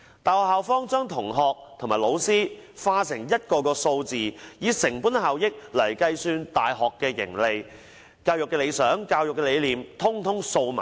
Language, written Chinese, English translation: Cantonese, 大學校方把同學和老師化成數字，以成本效益計算大學盈利，至於教育理想和理念，卻全部掃在兩旁。, The university administration regards students and teachers as a number and assesses the profitability of the university using cost - effectiveness completely ignoring its education vision and philosophy